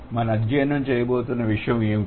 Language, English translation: Telugu, So, what are we going to study here